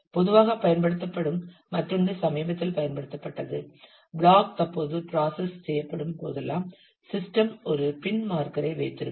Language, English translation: Tamil, Another which is commonly uses most recently used the; if whenever the block is currently being processed, then the system will kind of keep a marker a pin